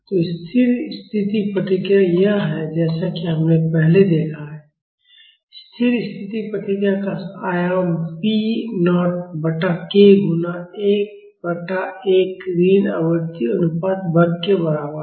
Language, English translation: Hindi, So, the steady state response is this, as we have seen earlier, the amplitude of the steady state response is equal to p naught by k multiplied by 1 by 1 minus frequency ratio square